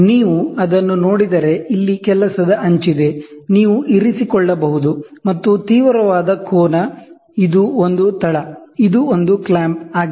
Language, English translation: Kannada, So, if you look at it, here is a working edge, you can keep, and acute angle, this is a base, this is a clamp